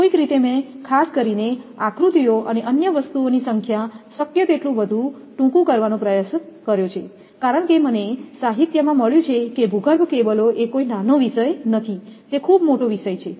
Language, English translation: Gujarati, Somehow, I have tried to condense it as much as possible particularly the number of diagrams and other thing because I found in the literature that underground cables is a not a small topic, it is a very big topic